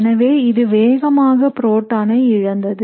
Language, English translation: Tamil, So this would be quickly deprotonated